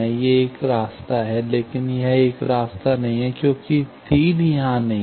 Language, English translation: Hindi, This is a path; but, this is not a path, because, arrow is not here